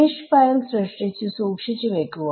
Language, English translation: Malayalam, So, generate a mesh file store it